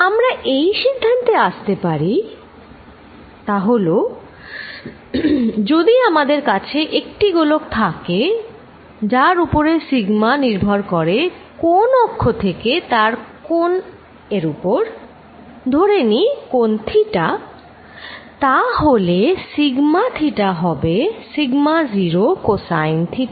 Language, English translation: Bengali, We conclude that if I have a sphere over which sigma depends on the angle from some axis, some axis if you go away by an angle theta, if sigma theta is sigma 0 cosine of theta